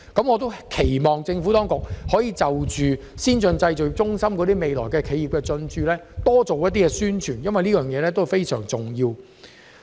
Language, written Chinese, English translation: Cantonese, 我希望政府當局可就先進製造業中心日後的企業進駐多作宣傳，因為此事非常重要。, I urge the authorities to step up publicity for AMC to boost its occupancy rate because this is very important